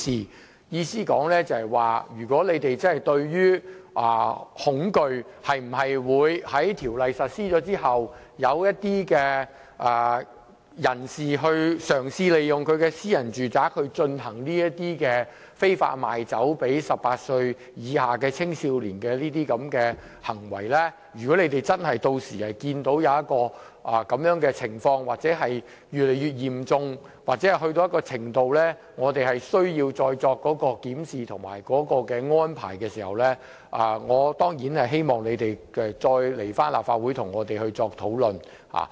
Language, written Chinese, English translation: Cantonese, 我的意思就是，如果你們真的害怕條例實施後，出現有人嘗試利用私人住宅非法賣酒類給18歲以下青少年的行為，甚至屆時如果真的看到有這種情況越來越嚴重到一種程度，以致我們有需要再作檢視和安排，我當然希望你再來立法會跟我們討論。, What I mean is that if the Government really fears that some people will use domestic premises to sell liquors illicitly to minors under the age of 18 years after the enactment of the Bill or if the situation has deteriorated to a certain extent which warrants the need to review the arrangement I certainly hope you will come back to the Legislative Council and discuss the issue with us